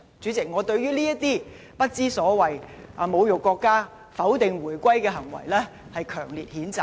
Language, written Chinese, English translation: Cantonese, 主席，對於這些不知所謂、侮辱國家、否定回歸的行為，我予以強烈譴責。, President I strongly condemn these ridiculous behaviours which humiliate the country and deny the significance of the reunification